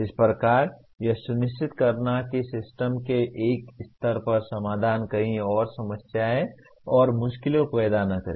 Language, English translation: Hindi, Thus, ensuring that a solution at one level of the system does not create problems and difficulties somewhere else